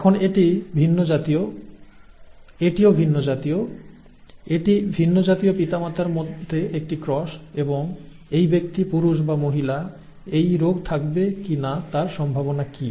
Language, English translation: Bengali, Now this is heterozygous, this is also heterozygous, it is a cross between heterozygous parents and what is their probability that this person, whether male or female would have the disease